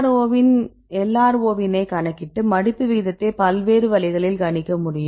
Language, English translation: Tamil, So, then we can calculate the LRO and we can predict the folding rate right with the various ways